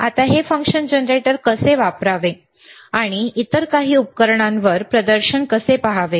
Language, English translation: Marathi, Now how to use this function generator, and how to see the display on some other equipment